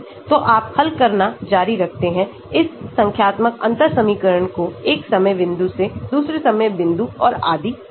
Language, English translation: Hindi, So, you keep doing the, solving this numerical differential equation from one time point to another time point and so on